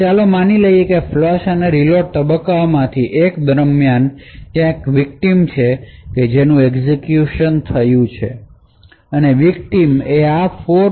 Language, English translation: Gujarati, Now let us assume that during one of the flush and reload phases, there is also the victim that has executed